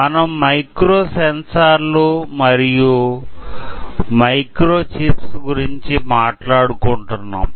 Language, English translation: Telugu, Actually, we are talking about micro sensors and microchips, is not it